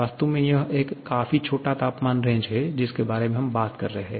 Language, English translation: Hindi, Actually, it is a quite small temperature range that we are talking about